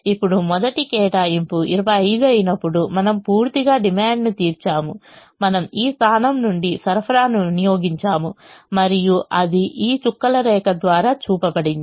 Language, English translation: Telugu, now, when the first allocation is twenty five, we have met the entirely, we have met the demand of, we have, we have consumed the supply from this position and that is shown by this dotted line